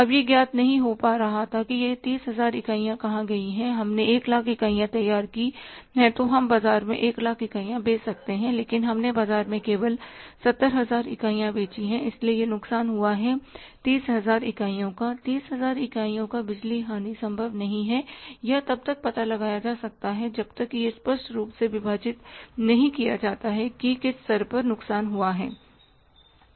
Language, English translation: Hindi, We if we have generated 1 lakh units, we could have sold the 1 lakh units in the market but we have sold only 70,000 units in the market so this loss of the 30,000 units the power loss of the 30,000 units is not able or is not possible to be traced until and unless if it is clearly bifurcated that at what level the loss has happened